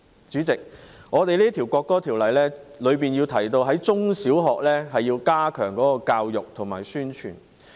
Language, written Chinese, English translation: Cantonese, 主席，《條例草案》提到要在中小學加強教育和宣傳。, Chairman the Bill states that education and publicity campaigns must be strengthened in primary and secondary schools